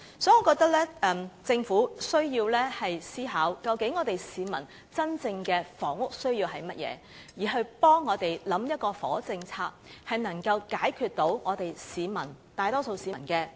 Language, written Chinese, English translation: Cantonese, 所以，政府需要思考市民真正的房屋需要為何，繼而為我們想出能解決大多數市民的問題的房屋政策。, Hence the Government needs to think about the peoples genuine housing needs and then work out a housing policy which can resolve the problems of the majority public